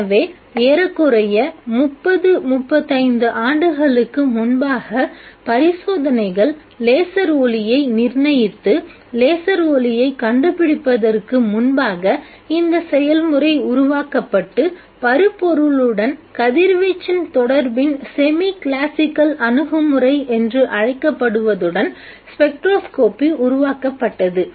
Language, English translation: Tamil, So, almost 30, 35 years before the experiments determined laser light and discovered laser light, the process was conceived and the spectroscopy was developed with what is called the semi classical approach of the interaction of radiation with matter